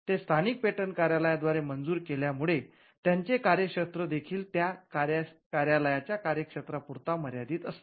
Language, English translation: Marathi, So, patents are granted by the local patent offices and because they are granted by the local patent offices, the territory of it their operation are also limited to the jurisdiction of those offices